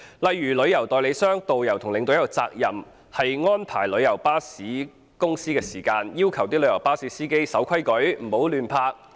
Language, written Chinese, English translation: Cantonese, 例如，旅行代理商、導遊和領隊有責任要求旅遊巴士公司告知其司機要遵守規則，不要胡亂停泊。, For example travel agents tourist guides and tour escorts are duty - bound to request tourist coach companies to urge their drivers to abide by traffic rules and refrain from indiscriminate parking